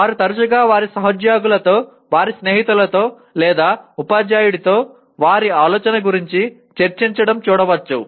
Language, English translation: Telugu, They often can be seen discussing with their colleagues, their friends or with the teacher about their thinking